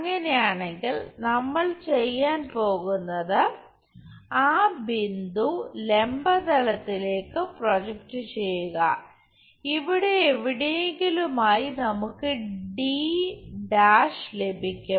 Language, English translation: Malayalam, If that is the case what we are going to do project this point on to vertical plane, somewhere there we will get d’